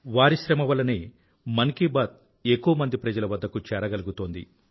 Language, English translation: Telugu, It is due to their hard work that Mann Ki Baat reaches maximum number of people